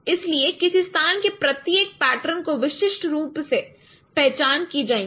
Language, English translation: Hindi, So each pattern in a location will be uniquely identified this location